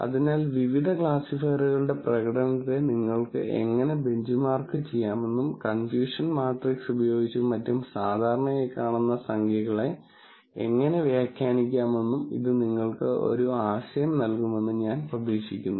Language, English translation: Malayalam, So, I hope, this gives you an idea of, how you can benchmark the performance of various classifiers and how to interpret numbers that one would typically see with, with the confusion matrix and so on